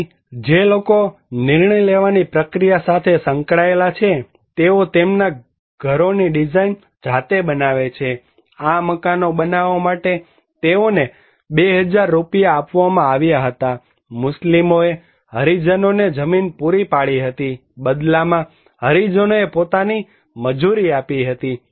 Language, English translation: Gujarati, So, people who are involved into the decision making process, they design their own houses, finances they provided 2000 Rupees to build these houses, Muslims provided land to Harijans and in return Harijans given their own labour